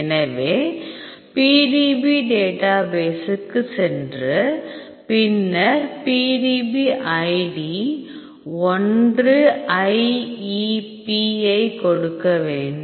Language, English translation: Tamil, So, go to PDB database and then give the PDB id 1IEP